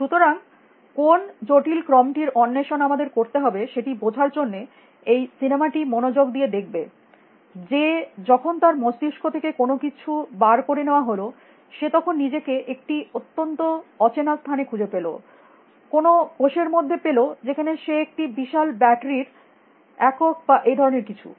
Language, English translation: Bengali, So, which is the complicated sequence which we have to sought off watch the movie carefully to understand that when eventually that something is pulled out of his brain, he really finds himself in some very unknown like place you know inside some cell where he is just unit of a large battery or something like that